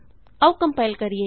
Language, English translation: Punjabi, Let us compile